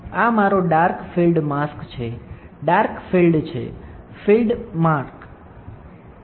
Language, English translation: Gujarati, So, this is my dark field mask, dark field